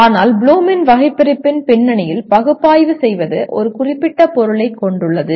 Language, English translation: Tamil, But analyze in the context of Bloom’s taxonomy has a very specific meaning